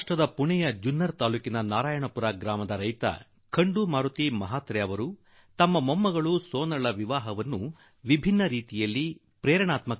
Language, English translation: Kannada, Shri Khandu Maruti Mhatre, a farmer of Narayanpur village of of Junner Taluka of Pune got his granddaughter Sonal married in a very inspiring manner